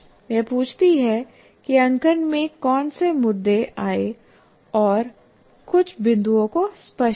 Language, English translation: Hindi, She asked what issues came up in the marking and clarifies a few points